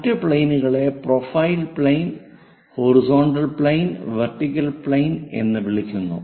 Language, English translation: Malayalam, The other one is called profile plane, horizontal plane, vertical plane